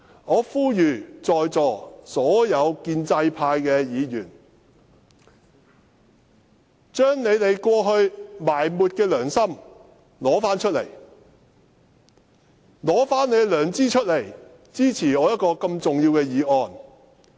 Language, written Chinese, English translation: Cantonese, 我呼籲在座所有建制派議員，將你們過去埋沒的良心拿出來，拿出你們的良知，支持我這項重要的議案。, I call on all pro - establishment Members here to revive their long - buried conscience and support this important motion of mine